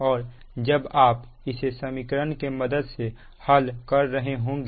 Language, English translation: Hindi, i will show you so from this equation